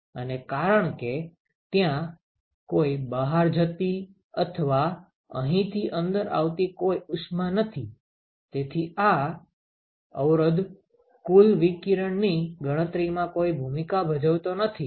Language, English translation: Gujarati, And, because there is no heat that is coming out or going out or coming in from here this resistance does not play any role in the total radiation calculation